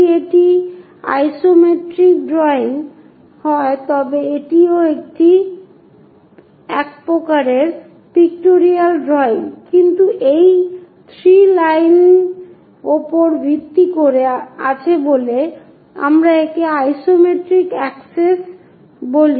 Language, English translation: Bengali, If it is isometric drawing a type of it is also a type of pictorial drawing, but based on 3 lines which we call isometric access